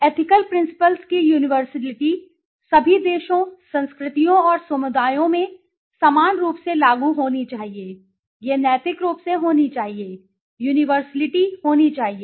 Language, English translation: Hindi, Universality of ethical principles should apply in same manner in all countries, cultures and communities, it should be ethically, universality should be there